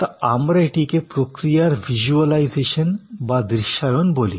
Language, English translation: Bengali, So, we call it visualization of the process